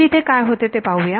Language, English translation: Marathi, So, let us see what happens here